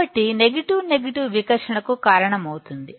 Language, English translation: Telugu, So, negative negative will cause repulsion